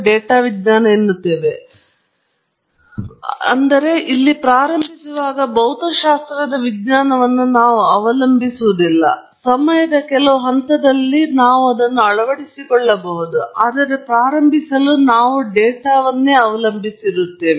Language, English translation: Kannada, There is a data science, but we don’t rely on the science of the physics to begin with; at some point in time maybe we can incorporate, but to begin with, we rely on data